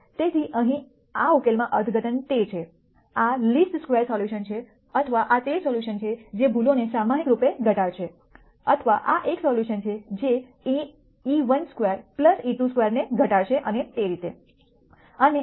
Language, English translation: Gujarati, So, interpretation for this solution here is that; this is the least square solution or this is the solution that will minimize the errors collectively or this is a solution that will minimize e 1 squared plus e 2 square and so on